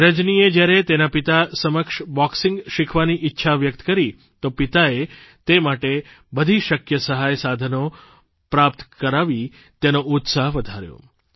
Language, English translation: Gujarati, When Rajani approached her father, expressing her wish to learn boxing, he encouraged her, arranging for whatever possible resources that he could